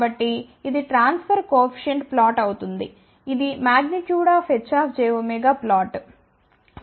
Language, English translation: Telugu, So, this will be the transfer coefficient plot, ok which is H j omega magnitude plot